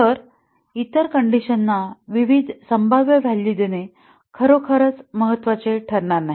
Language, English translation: Marathi, So, giving various possible values to other conditions will not really matter